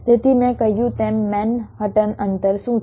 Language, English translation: Gujarati, so, as i said, what is manhattan distance